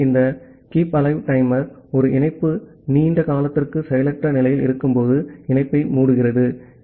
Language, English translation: Tamil, So, this Keepalive timer it closes the connection when a connection has been idle for a long duration